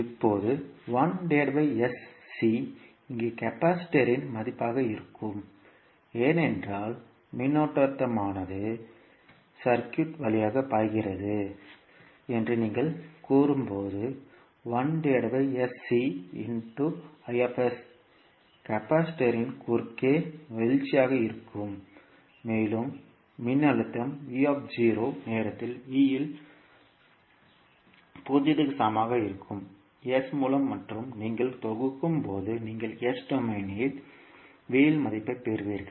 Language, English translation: Tamil, Now, plus 1 upon sc will be the value of the capacitor here because when you say the current is i s flowing through the circuit so i s into 1 by sc will be the drop of across capacitor plus the voltage that is v0 at v at time t equal to 0 and by s and when you sum up you will get the value at v in s domain